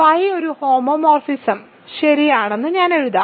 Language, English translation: Malayalam, So, I will simply write phi is a homomorphism right